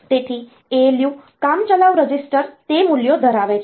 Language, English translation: Gujarati, So, ALU temporary registers are holding those values